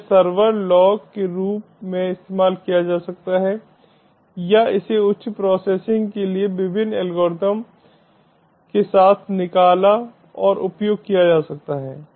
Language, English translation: Hindi, so this can be used as the server log or it can be extorted and use with various algorithms for higher processing